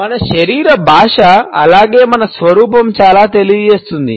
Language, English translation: Telugu, Our body language as well as our appearance reveal a lot